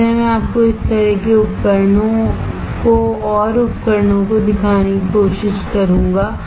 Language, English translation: Hindi, So, I will try to show you more of these kind of devices